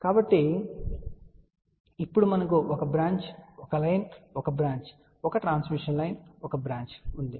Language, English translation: Telugu, So, now, we will have a one branch, one line, one branch, one transmission line, one branch